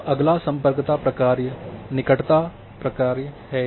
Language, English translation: Hindi, Now next function of connectivity function is the proximity functions